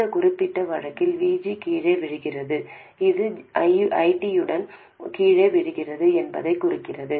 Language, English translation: Tamil, And in this particular case, VG falls down which implies that ID also falls down